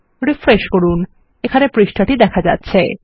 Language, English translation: Bengali, Refresh and we have a page here